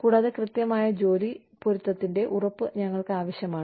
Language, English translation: Malayalam, And, we need an assurance, of an accurate job match